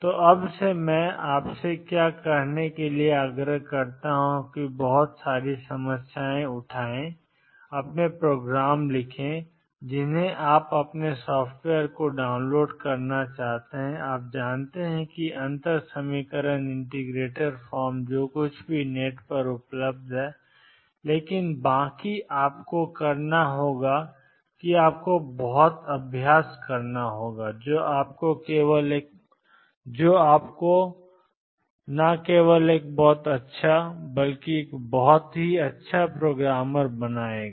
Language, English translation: Hindi, So, what I would urge you to do now from now on is pick up a lot of problems, write your programs you may want to download your software you know the differential equation integrator form whatever is available on the net, but rest you have to do and you have to practice a lot that only makes you a very good programmer